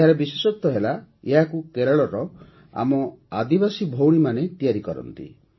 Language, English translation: Odia, And the special fact is that these umbrellas are made by our tribal sisters of Kerala